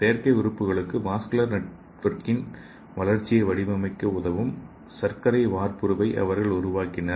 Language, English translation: Tamil, So they created a sugar template that can help shape development of a vascular network for artificial organs